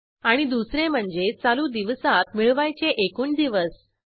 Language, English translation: Marathi, Second is the number of days to be added to the present day